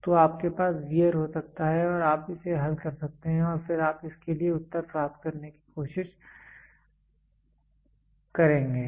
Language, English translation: Hindi, So, you can have wear you can solve it and then you try to get the answer for it